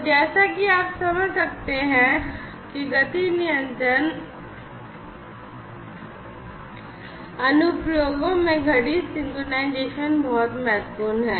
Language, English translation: Hindi, So, as you can understand that clock synchronization is very important in motion control applications